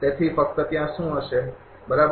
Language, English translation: Gujarati, So, just what will be there, right